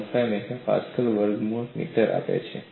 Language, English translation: Gujarati, 15 MPa root meter